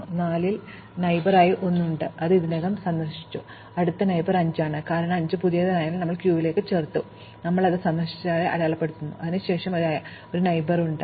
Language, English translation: Malayalam, So, 4 has a neighbor 1, which has already been visited, the next neighbor is 5, since 5 is new we added to the queue and we mark it as visited, then it has a neighbor 8